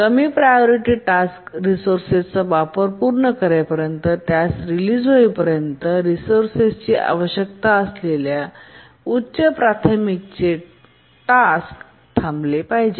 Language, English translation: Marathi, A higher priority task needing that resource has to wait until the lower priority task completes its uses of the resource and religious it